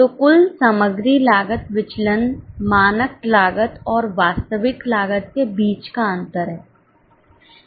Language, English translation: Hindi, So, the total material cost variance is a difference between standard cost and actual cost